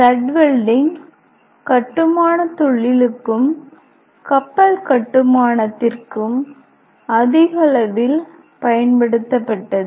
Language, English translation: Tamil, Stud welding was increasingly used for construction industry and also for shipbuilding industry